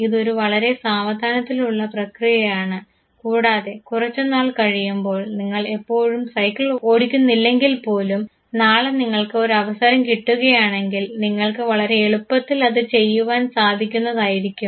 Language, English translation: Malayalam, It is a very gradual process and now comes a time when even though you do not ride a bicycle very frequently tomorrow if you are given an opportunity to do, so you can very conveniently do that